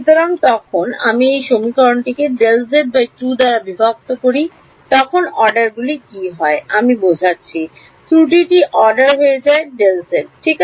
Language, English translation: Bengali, So, when I divide this equation by delta z by 2 what happens the order becomes I mean the error becomes of order delta z right